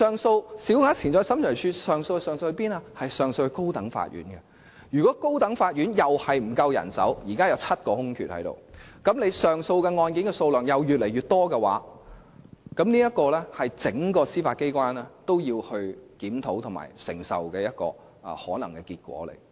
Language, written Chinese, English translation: Cantonese, 審裁處的上訴案件會交由高等法院處理，而高等法院亦同樣沒有足夠人手，現時共有7個空缺，於是上訴案件的數量又會不斷增加，這是整個司法機構也要檢討及可能承受的結果。, Since appeal cases of SCT will be handled by the High Court and given that the latter also has a shortage of manpower with a total of seven vacancies at present the appeal caseload will be on the increase . This is the consequence that the entire Judiciary has to review and possibly bear